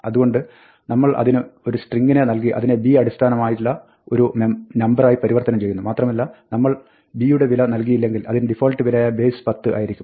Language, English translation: Malayalam, So, we give it a string and convert it to a number in base b, and if we do not provide b, then, by default b has value 10